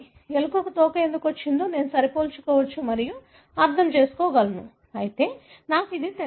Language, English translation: Telugu, I can compare and decipher why a mouse has got a tail, while I do not